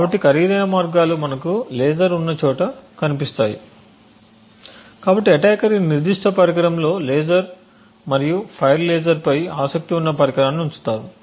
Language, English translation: Telugu, So the expensive ways would look something like this where we would have a laser so we would place the device which the attacker is interested in the laser and fire laser at this specific device